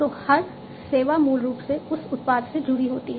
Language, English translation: Hindi, So, every service is basically linked to that product